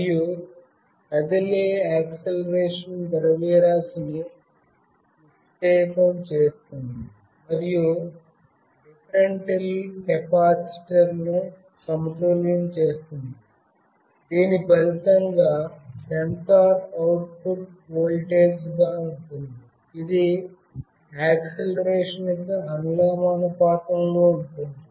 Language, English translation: Telugu, And the acceleration deflects the moving mass and unbalances the differential capacitor, this results in a sensor output as voltage that is proportional to the acceleration